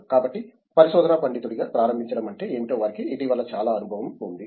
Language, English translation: Telugu, So, they have very recent experience in what it means to get started as a research scholar